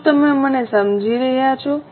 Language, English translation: Gujarati, Are you getting me